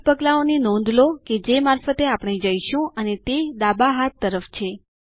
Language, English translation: Gujarati, Notice the 8 steps that we will go through on the left hand side